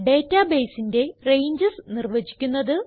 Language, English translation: Malayalam, How to define Ranges for database